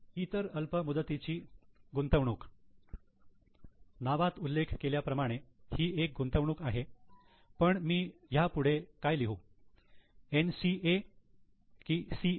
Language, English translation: Marathi, Other investments, short term, obviously as the name suggests it is investment but should I put it as NCA or as CA